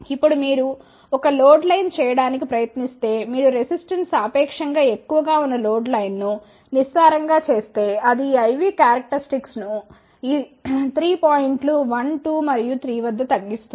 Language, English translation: Telugu, Now, if you try to make a load line, if you make us shallow a load line whose resistance is relatively higher, then it will cut these I V characteristics at these 3 points 1 2 and 3